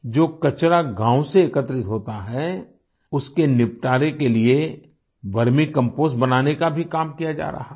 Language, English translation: Hindi, The work of making vermicompost from the disposed garbage collected from the village is also ongoing